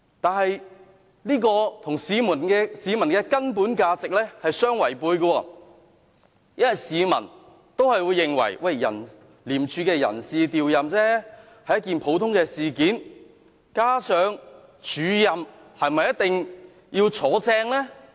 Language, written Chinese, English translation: Cantonese, 但這與市民的根本價值相違背，因為市民也會認為，廉署的人事調任是一件普通事件，加上署任是否一定會真除呢？, However this is contrary to the basic value cherished by Hong Kong people because in their opinion personnel reshuffles within ICAC are actually very ordinary . Besides does an acting appointment necessarily lead to substantive promotion?